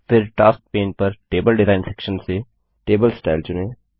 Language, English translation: Hindi, Then from the Table Design section on the Tasks pane, select a table style